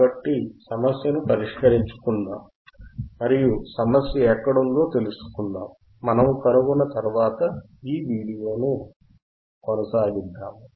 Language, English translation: Telugu, So, let us troubleshoot the problem let us troubleshoot the problem and find out where is the problem lies and once we find out we will get back and continue this video